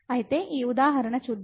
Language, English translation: Telugu, So, let us see in this example